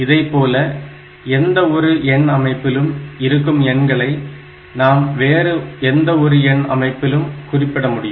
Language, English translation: Tamil, So, the same way, you can represent any number in any other number system